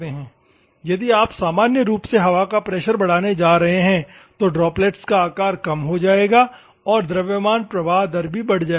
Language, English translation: Hindi, If you are going to increase the pressure of the air normally, droplet us size will go down and mass flow rate also increases this